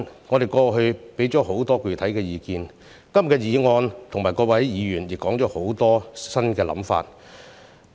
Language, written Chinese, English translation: Cantonese, 我們過去提出很多具體的意見，今天的議案和各位議員也提出很多新的想法。, We have put forward many specific opinions in the past and many new ideas are proposed in todays motion and by Members